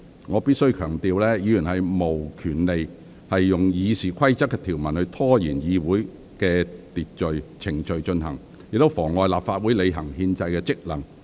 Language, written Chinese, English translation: Cantonese, 我必須強調，議員無權利用《議事規則》的條文拖延會議程序，或妨礙立法會履行其憲制職能。, I must stress that Members do not have the right to exploit the provisions of RoP to prolong the procedures of the meeting or obstruct the Legislative Council from preforming its constitutional function